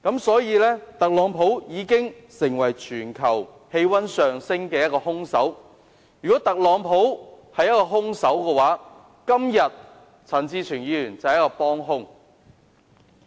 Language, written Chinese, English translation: Cantonese, 所以，特朗普已經成為全球氣溫上升的兇手。如果特朗普是兇手，陳志全議員便是幫兇。, Hence Donald TRUMP has become the culprit of global warming and if he is the culprit Mr CHAN Chi - chuen is his accomplice